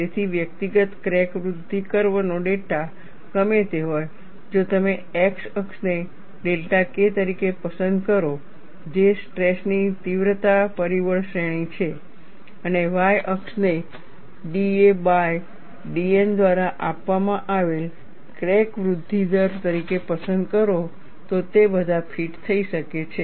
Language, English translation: Gujarati, So, whatever the data of individual crack growth curve, all of them could be fitted, if you choose the x axis as delta K, which is the stress intensity factor range and the y axis as crack growth rate given by d a by d N